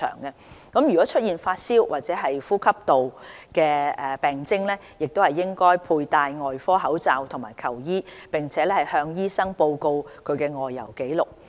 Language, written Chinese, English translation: Cantonese, 旅客若出現發燒或呼吸道病徵，應佩戴外科口罩及求醫，並向醫生報告其外遊紀錄。, Travellers are also reminded to wear surgical masks seek medical advice and report their travel history to their doctors when they have a fever or respiratory symptoms